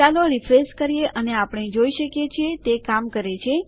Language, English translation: Gujarati, Lets refresh that and we can see that it worked